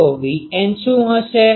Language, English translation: Gujarati, So, what will be V n